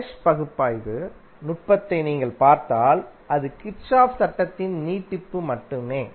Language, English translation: Tamil, It is if you see the mesh analysis technique it is merely an extension of Kirchhoff's law